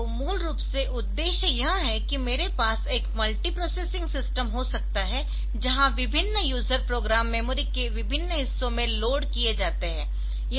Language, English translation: Hindi, So, basically the purpose is that I can have a multiprocessor multiprocessing system, where different user programs are loaded in different part of the memory